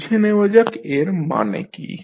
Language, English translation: Bengali, Let us understand what does it mean